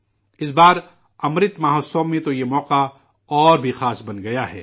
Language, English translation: Urdu, This time in the 'Amrit Mahotsav', this occasion has become even more special